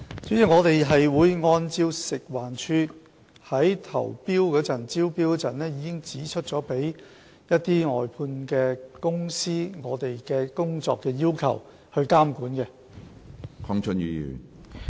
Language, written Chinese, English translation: Cantonese, 主席，我們會按照食環署在招標時已訂明的對外判公司的工作要求，加以監管。, President we will monitor the outsourced contractors according to our prescribed work requirements in the tender